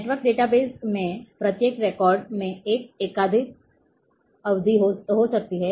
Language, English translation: Hindi, In network database each record can have a multiple period